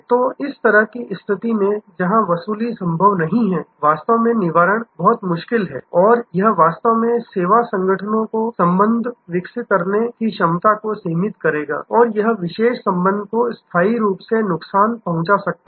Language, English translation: Hindi, So, in this kind of situation, where there is recovery is not possible, really the redressal is very difficult and that actually will limit the service organizations ability to develop the relationship; that it may permanently damage a particular relationship